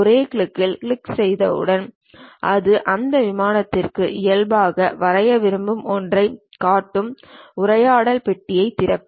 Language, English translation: Tamil, Once you click that a single click, it opens a dialog box showing something would you like to draw normal to that plane